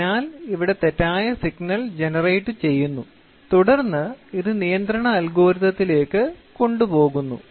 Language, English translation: Malayalam, So, here there is error signal which is error signal which is generated and then, this is taken to the control algorithm